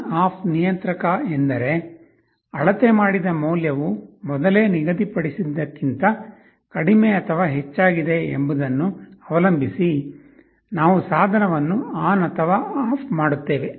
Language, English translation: Kannada, ON OFF controller means we either turn on or turn off the device depending on whether the measured value is less than or greater than the preset